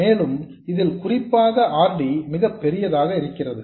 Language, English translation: Tamil, And this is especially so if RD is very large